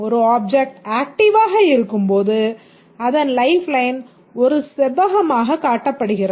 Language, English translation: Tamil, When an object becomes active, it's shown as a rectangle on its lifeline